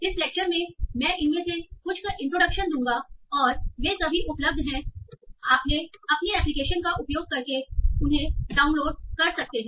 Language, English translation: Hindi, So in this lecture I will just give some introduction to some of these and they are all available and you can go and download those and use in your applications